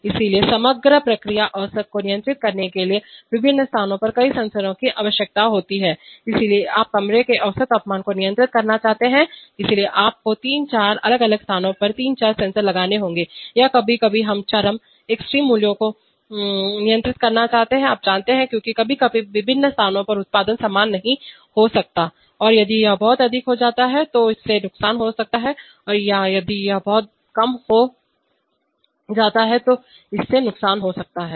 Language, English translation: Hindi, So therefore multiple sensors at different locations are needed to control the overall process average, so you want to control the average temperature of the room, so you have to put three four sensors at three four different locations or sometimes we want to control extreme values, you know, because sometimes the output at various places may not be the same and if it goes too high it may cause damage or if it goes too low it may cause damage